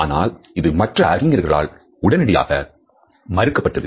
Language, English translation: Tamil, However, this idea was soon rejected by various other scientists